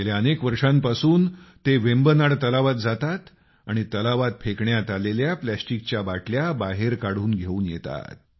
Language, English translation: Marathi, For the past several years he has been going by boat in Vembanad lake and taking out the plastic bottles thrown into the lake